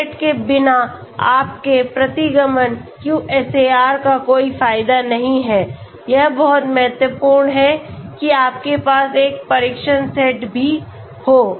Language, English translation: Hindi, Without test set your regression QSAR is of no use, it is very, very important that you also have a test set okay